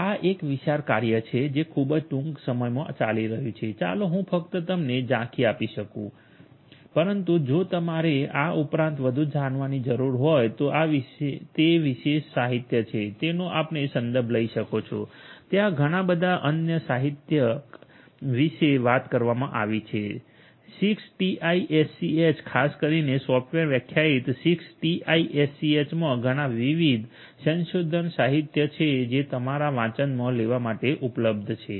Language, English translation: Gujarati, This is a huge work that is going on in a very not cell let me just give you the highlights, but if you need to know more beyond this, this is this particular literature that you can refer to this is not the only one there are so many different other literature talking about 6TiSCH particularly software defined 6TiSCH there are so many different research literature that are available for you to go through